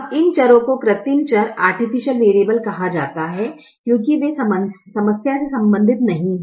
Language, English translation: Hindi, now these variables are called artificial variable because they do not belong to the problem